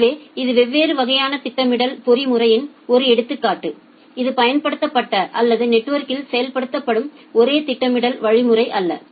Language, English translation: Tamil, So, this is just an example of different kind of scheduling mechanism this is not the only scheduling mechanism which is a used or which is implemented in the network